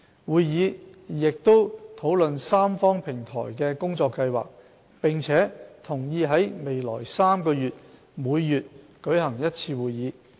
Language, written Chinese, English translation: Cantonese, 會議亦討論三方平台的工作計劃，並同意在未來3個月每月舉行一次會議。, Members also discussed the work plan of the Platform and agreed to meet once a month in the next three months